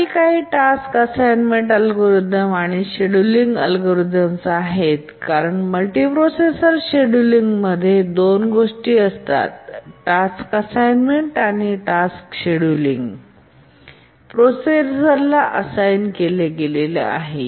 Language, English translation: Marathi, Now let's look at some task assignment algorithms and then we'll see the scheduling algorithms because the multiprocessor scheduling consists of two things the task assignment and also the task scheduling once they have been assigned to a processor